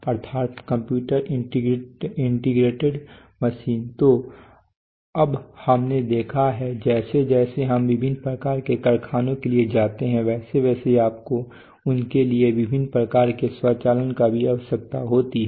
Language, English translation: Hindi, So now we have seen that as we go for go from for various kinds of factories you also need various kinds of automation for them